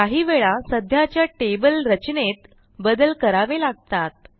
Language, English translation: Marathi, And sometimes we will need to modify existing table structures